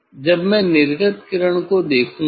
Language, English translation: Hindi, when I will look for the emergent ray